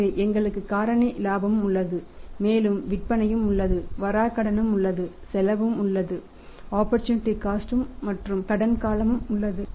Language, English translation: Tamil, So, we have factor profit also sales also cost also bad debt also opportunity cost also and the credit period also